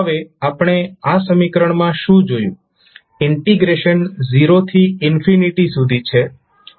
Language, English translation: Gujarati, Now, what we saw in this equation, the integration starts from 0 minus to infinity